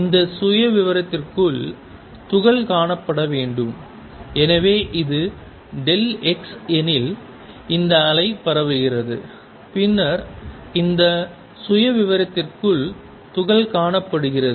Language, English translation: Tamil, And particle is to be found within this profile; so let say if this is delta x, the extent of this wave spreading then particle is found to be found within this profile